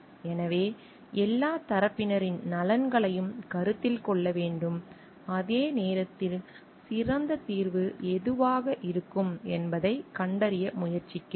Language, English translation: Tamil, So, what we find like the interests of every one of all the parties needs to be taken into consideration, while we are trying to find out what could be the best possible solution